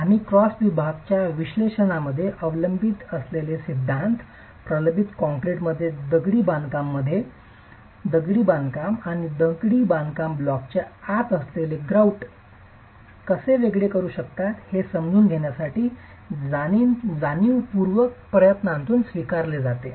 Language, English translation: Marathi, Principles that we adopt in analysis of cross sections in reinforced concrete are adopted in masonry with a conscious effort to understand how the masonry block and the grout which is within the masonry block may work differently if they are of dissimilar materials